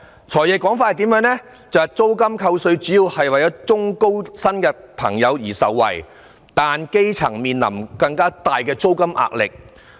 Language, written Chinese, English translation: Cantonese, "財爺"的說法是，租金扣稅主要令中高薪人士受惠，但基層面臨更大的租金壓力。, The argument of the Financial Secretary is that introducing tax deduction for rental payments will basically benefit the middle - income and high - income earners but it will increase the rental burden of the grass roots